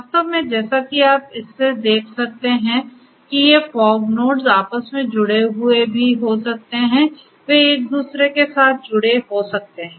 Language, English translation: Hindi, In fact, as you can see from this also these fog nodes may also be interconnected they might be interconnected with one another right